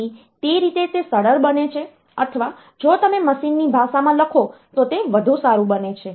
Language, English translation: Gujarati, So, that way it becomes easier or it becomes better if you write in a machine language